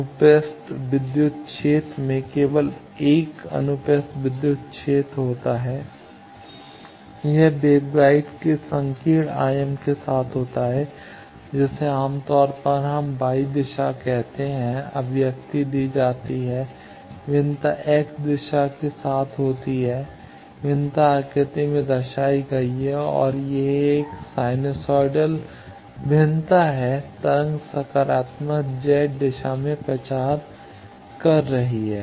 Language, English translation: Hindi, The transverse electric field it has only 1 transverse electric field it is along the narrow dimension of the waveguide that is generally we call y e direction the expression is given the variation is along x the variation is shown in the figure and it is a sinusoidal variation the wave is propagating in the positive Z direction